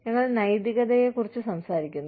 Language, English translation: Malayalam, We talk about morality